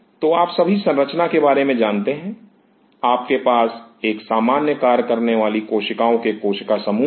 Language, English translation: Hindi, So, all of you are aware about the organization; you have cells cluster of cells performing a common function